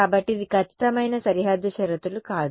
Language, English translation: Telugu, So, this is exact no boundary conditions